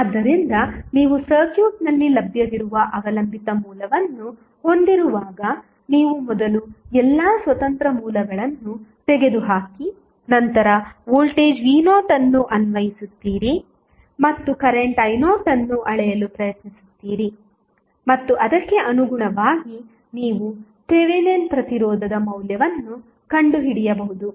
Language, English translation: Kannada, So, when you have dependent source available in the circuit which you cannot remove you will first remove all the independent sources and then apply voltage v naught and try to measure the current i naught and accordingly you can find out the value of Thevenin resistance